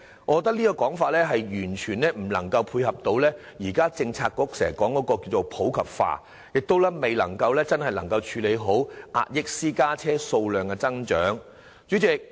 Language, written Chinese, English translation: Cantonese, 我認為這說法完全無法配合政策局經常提出的普及化的目標，亦未能真正妥善處理壓抑私家車數量增長的訴求。, I do not consider such an attitude adequate for the Government to meet the targets constantly put forward by the relevant Policy Bureau to popularize EVs and neither can it help the Government genuinely address the aspiration for curbing the growth in the number of private cars